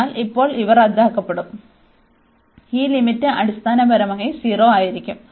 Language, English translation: Malayalam, So, now in these will cancel out, and this limit will be 0 basically